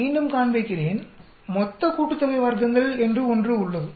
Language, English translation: Tamil, Let me again show you, there is something called total sum of squares